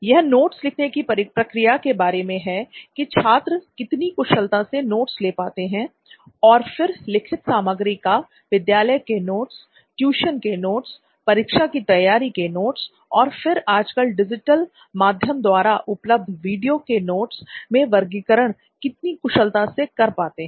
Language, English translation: Hindi, Then is the actual note taking process, how efficiently students are able to take notes and organize their written content for say it like their school notes or tuition notes preparation for their examinations, then their video learning content which is digitally available nowadays